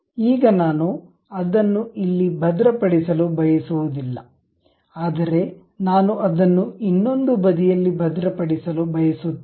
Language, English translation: Kannada, Now, I do not want to really lock it here, but I want to lock it on the other side